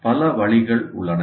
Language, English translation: Tamil, There can be any number of ways